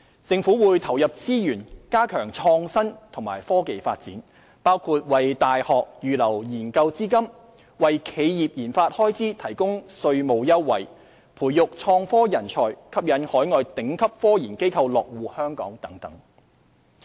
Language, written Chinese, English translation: Cantonese, 政府會投入資源加強創新及科技發展，包括為大學預留研究資金、為企業研發開支提供稅務優惠、培育創科人才、吸引海外頂級科研機構落戶香港等。, The Government will commit resources to reinforcing development in innovation and technology which includes setting aside funding for university research offering tax concession for RD expenditure for enterprises nurturing talents in innovation and technology and striving to attract overseas top scientific research institutions to Hong Kong and so on